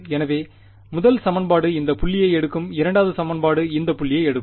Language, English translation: Tamil, So, first equation will take this point second equation will take this point and so on